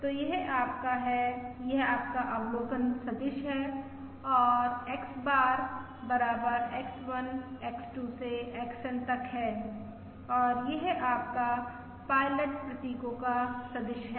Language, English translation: Hindi, So this is your, this is your observation vector, and X bar equals X1, X2 up to XN